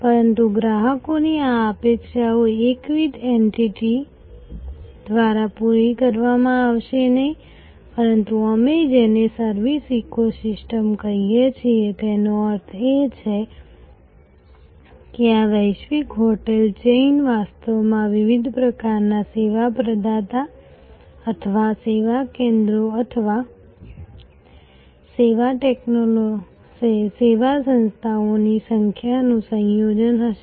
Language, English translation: Gujarati, But, this customers array of expectations will be met by not a monolithic entity, but what we have called a service ecosystem, that means this global hotel chain will be actually a combination of number of different types of service provider or service centres or service entities